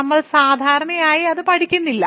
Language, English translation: Malayalam, So, we usually do not study that